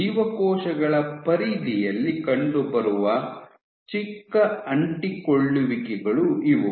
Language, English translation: Kannada, So, these are the smallest adhesions that you can have at the periphery of the cells